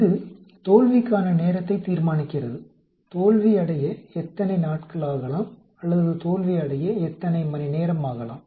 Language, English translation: Tamil, It determines time to failure, how many days it may take to fail or how many hours it may take to fail, how many weeks or years it may take to fail